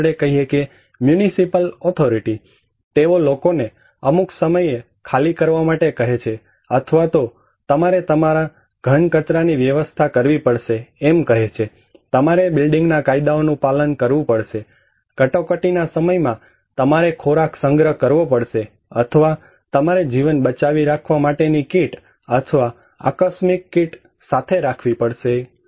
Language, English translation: Gujarati, let us say, municipal authority, they ask people to follow something like you have to evacuate during certain time or you have to manage your solid waste, you have to follow building bye laws, you have to store food during emergency, or you have to keep survival kit, or contingency kit like that